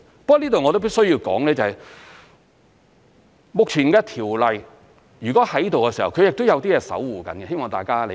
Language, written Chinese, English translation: Cantonese, 不過這裏我亦必須要說，目前的條例，如果存在，它亦是有些東西在守護着，希望大家理解。, However I want to stress that there must be something upholding the existence of the existing laws which I hope Members will understand